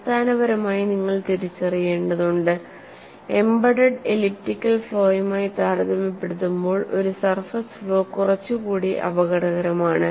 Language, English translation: Malayalam, But basically you have to recognize, compare to an embedded elliptical flaw a surface flaw is little more dangerous